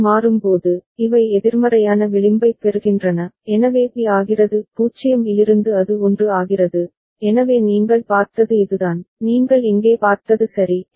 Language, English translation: Tamil, And when it toggles, these gets a negative edge, so B becomes from 0 it becomes 1, so that is what you have seen, what you see over here ok